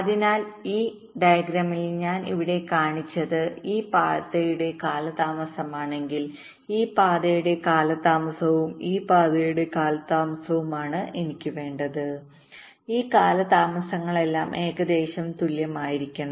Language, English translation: Malayalam, so so, whatever i have shown here, if delta one is the delay of this path, delta two is the delay of this path and delta in the delay of this path, what i want is that these delays should all be approximately equal